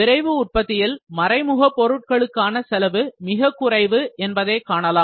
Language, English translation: Tamil, In rapid manufacturing, we will see cost for indirect material is very less